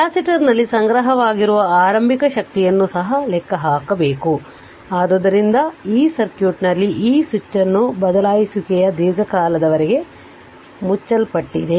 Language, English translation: Kannada, Also you calculate the initial energy stored in the capacitor , so in this circuit in this circuit that switch this switch was closed for long time